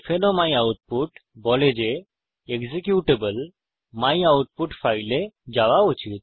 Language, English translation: Bengali, o myoutput says that the executable should go to the file myoutput Now Press Enter